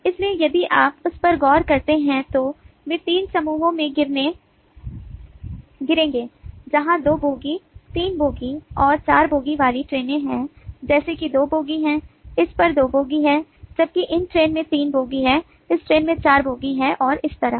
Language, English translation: Hindi, so if you look at that, then they will fall in three groups where trains with which have two bogies, three bogies and four bogies like this has two bogies, this has two bogies, whereas this train has three bogies, this train has four bogies, and so on